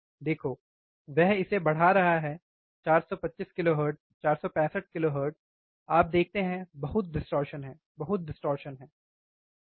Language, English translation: Hindi, See he is increasing it 425 kilohertz, 465 kilohertz, you see, there is lot of distortion, lot of distortion, right